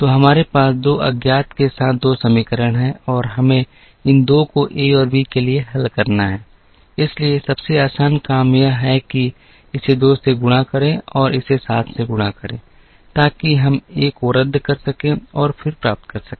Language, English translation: Hindi, So, we have 2 equations with 2 unknowns and we need to solve these 2 for a and b, so the easiest thing to do is to multiply this by 2 and multiply this by 7, so that we can cancel the a and then get the value for the b and then we go and substitute to try and get the value for a